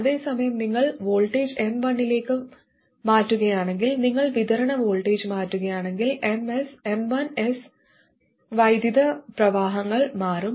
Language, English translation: Malayalam, Whereas if you change the voltage to M1, I mean if you change the supply voltage, M1's current will change if this becomes 12 volts instead the current in M1 will increase